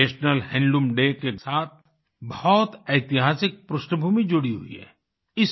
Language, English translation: Hindi, National Handloom Day has a remarkable historic background